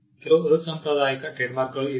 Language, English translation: Kannada, There are also some unconventional trademarks